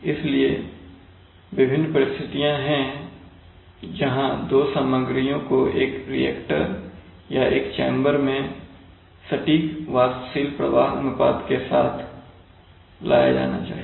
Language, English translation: Hindi, So there are various situations where two materials must be, must be brought together in some reactor or some chamber in precise volumetric flow ratios right